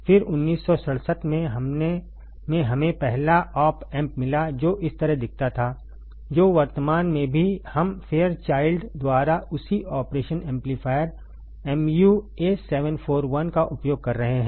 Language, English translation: Hindi, Then in 1967, 1967 we got the first op amp which looked like this which currently also we are using the same operation amplifier mu A741 by Fairchild by Fairchild